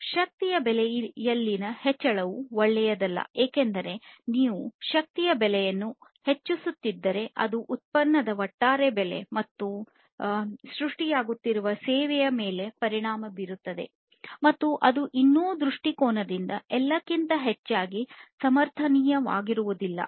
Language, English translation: Kannada, So, increasing the price of energy is not good because if you are increasing the price of energy then that will affect the overall price of the product or the service that is being created and that is not going to be sustainable over all from another perspective